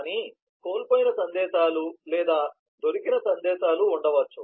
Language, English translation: Telugu, but there could be lost messages or found messages